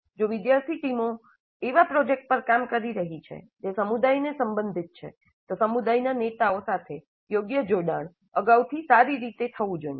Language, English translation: Gujarati, If the student teams are working on a project that is relevant to the community, then proper engagement with the community leaders must happen well in advance